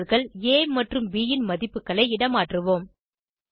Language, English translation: Tamil, Let us swap the values of variables a and b